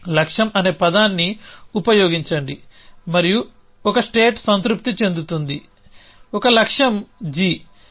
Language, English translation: Telugu, So, use a word goal a satisfies a state satisfies a goal g